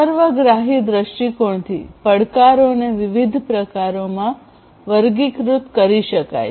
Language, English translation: Gujarati, So, from a holistic viewpoint, the challenges can be classified into different types